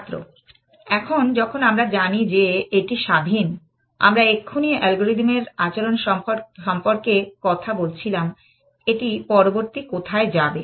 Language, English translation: Bengali, No, that we, that is the independent thing, we just now talking about the behavior of the algorithm, where will it go next